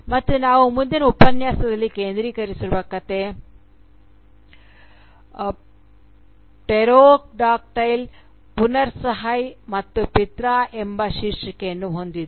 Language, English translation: Kannada, And, the story which we will be focusing on today, and in the next lecture, bears the title "Pterodactyl, Puran Sahay, and Pirtha